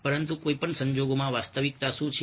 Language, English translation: Gujarati, but in the new case, what is the reality